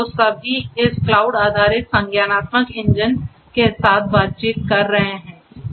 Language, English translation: Hindi, All of which are interacting with this cloud based cognitive engine